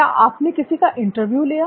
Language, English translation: Hindi, Have you interviewed anyone